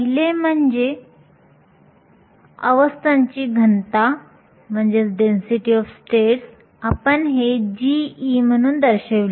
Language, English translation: Marathi, The first one is called the density of states; we denoted this as g of E